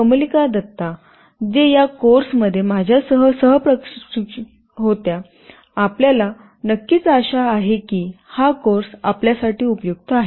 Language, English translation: Marathi, Kamalika Datta who was my co instructor in this course, sincerely hope that the course was useful to you